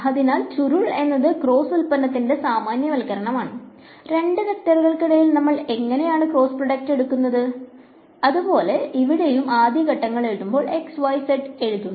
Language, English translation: Malayalam, So, curl is the generalization of the cross product and just like how we take the cross product between two vectors we write down x, y, z when we write down the first guys components which are here, here and here and the components of a going to the bottom row